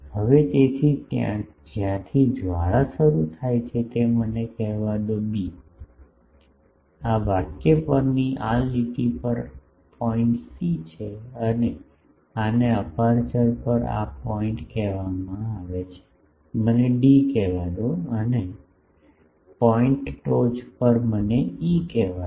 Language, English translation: Gujarati, Now so, the point where the flare is started let me call it B, on this line on this line this point is C and this one is called this point on the aperture let me call D and this point at the top let me call E